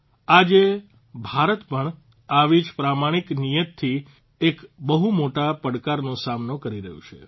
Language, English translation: Gujarati, Today, India too, with a noble intention, is facing a huge challenge